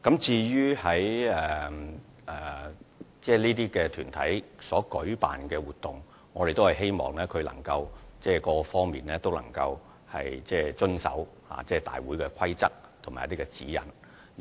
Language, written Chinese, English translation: Cantonese, 關於各團體所舉辦的活動，我們希望它們在各方面均能遵守大會的規則及指引。, As for the activities organized by different organizations I hope they can observe the rules and instructions given by the organizers in all aspects